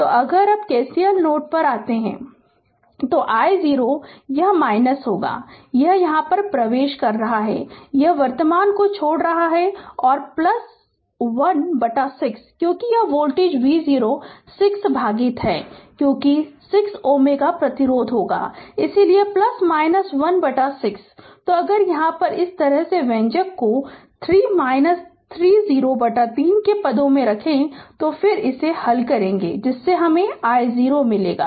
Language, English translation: Hindi, So, if you now apply KCL at node a so, i 0 is equal to right, this i right is equal to this i this this is a entering this current is leaving and plus 1 by 6 because this voltage is V 0 by 6, because 6 ohm resistance; so, plus your 1 by 6